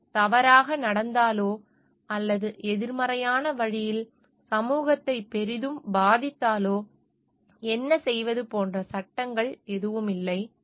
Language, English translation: Tamil, They were hardly any laws which govern, like what if it went wrong or affected the society tremendously in a negative way